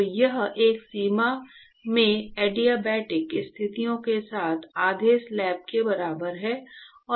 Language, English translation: Hindi, So, this is equivalent to a half slab with adiabatic conditions in one boundary